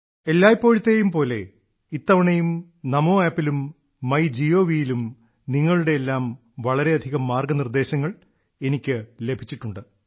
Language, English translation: Malayalam, As always, this time too, I have received numerous suggestions from all of you on the Namo App and MyGov